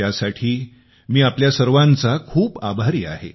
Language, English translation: Marathi, I am very thankful to you for that